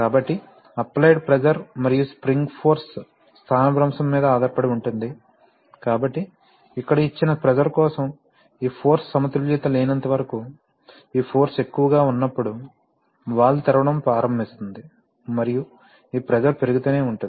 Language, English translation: Telugu, So therefore, since this is an applied pressure and the spring force depends on the displacement, so therefore, the, for a given pressure here, the valve will, as long as this force is not balanced say, when this force is higher, then it will start opening and this pressure will keep increasing